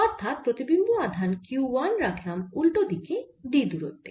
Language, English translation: Bengali, so we are placing an image charge q one at a distance d on the opposite side